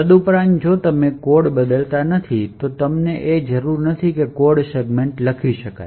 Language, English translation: Gujarati, Further most if you are not changing code, we do not require that the codes segments to be writable